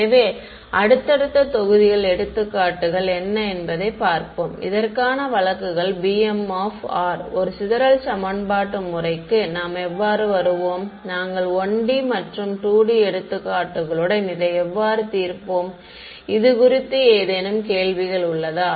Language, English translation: Tamil, So, subsequent modules we will look at what are the examples and cases for this b b m of r, how will we arrive at a sparse system of equations, how do we solve it with 1 D and 2 D examples ok; any questions on this so far